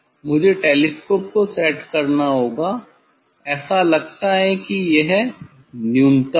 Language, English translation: Hindi, I have to set the telescope it seems that is the minimum